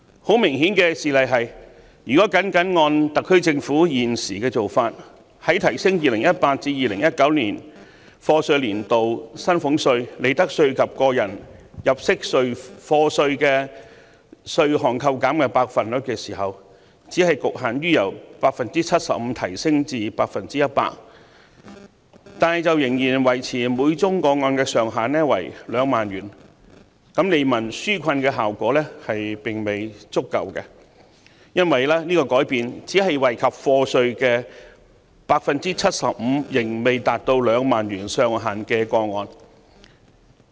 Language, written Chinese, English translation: Cantonese, 很明顯的事例是，如果僅按特區政府現時的做法，在提升 2018-2019 課稅年度薪俸稅、利得稅及個人入息課稅的稅務寬免百分比時，只局限於由 75% 提高至 100%， 但仍然維持每宗個案上限2萬元，利民紓困的效果並未足夠，因為這項改變只惠及應繳稅款未達2萬元的個案。, A case in point is the tax concessions now proposed by the SAR Government . Under its current proposal the percentage for tax reduction in salaries tax profits tax and tax under personal assessment for the year of assessment 2018 - 2019 will be increased but only from 75 % to 100 % with the ceiling retained at 20,000 per case . This proposal will not be effective in easing peoples burden because the adjustment will only benefit taxpayers paying less than 20,000 of taxes